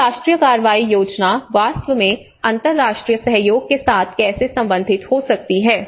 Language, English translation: Hindi, So how the national action plans can actually relate with the international cooperation as well